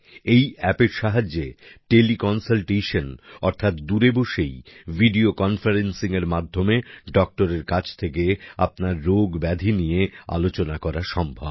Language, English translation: Bengali, Through this App Teleconsultation, that is, while sitting far away, through video conference, you can consult a doctor about your illness